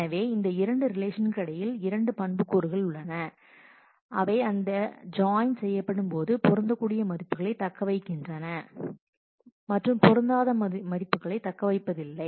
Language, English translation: Tamil, So, there are 2 attributes between these 2 relations on which during join the values that they match are retained, the values that they do not match are not retained in the natural join